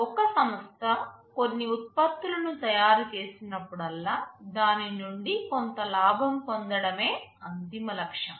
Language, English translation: Telugu, See a company whenever it manufactures some products the ultimate goal will be to generate some profit out of it